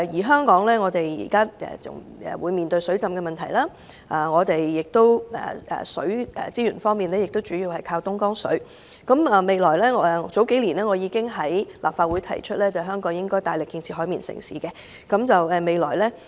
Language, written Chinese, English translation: Cantonese, 香港現時要面對水浸的問題，本港在水資源方面主要靠東江水，我數年前已在立法會提出，香港應該大力建設"海綿城市"。, Hong Kong is beset by flooding . Our water resources mainly come from Dongjiang river . I proposed in this Council a few years ago that we should proactively develop Hong Kong into a sponge city